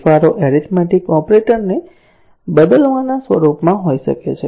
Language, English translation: Gujarati, The changes may be in the form of changing an arithmetic operator